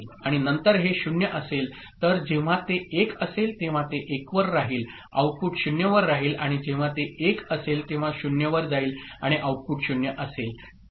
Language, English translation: Marathi, 1 output is 1 this goes to 1 okay and then if it is 0 right it will when it is at 1 it remains at 1 output is 0 and when it is at 1 it goes to 0 and output is 0